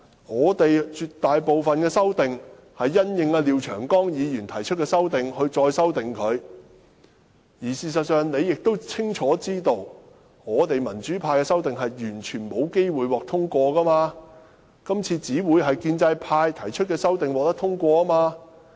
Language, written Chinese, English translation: Cantonese, 我們絕大部分的修訂，是因應廖長江議員提出的修訂而作的，而事實上你也清楚知道，民主派的修訂是完全沒有機會獲得通過的，今次只會通過建制派提出的修訂。, The bulk of our amendments are made in response to Mr Martin LIAOs amendments . And you know very well that our amendments stand absolutely no chance of getting passed . Only those of the pro - establishment camp can be passed this time